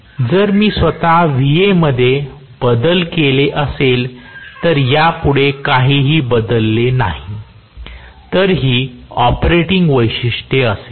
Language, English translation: Marathi, If I have Va itself change, without changing anything else further, this is going to be the operating characteristics